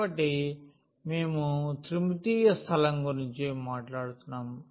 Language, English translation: Telugu, So, we are talking about the 3 dimensional space